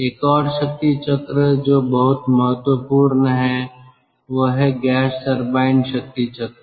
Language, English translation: Hindi, another power cycle which is also very important, that is the gas turbine power cycle